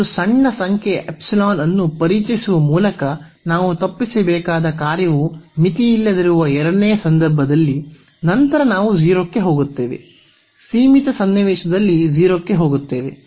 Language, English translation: Kannada, In the second case at the point where the function is unbounded that we have to avoid by introducing a small number epsilon which later on we will move to 0 will go to 0 in the limiting scenario